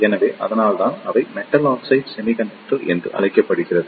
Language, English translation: Tamil, So, that is why they are known as Metal Oxide Semiconductor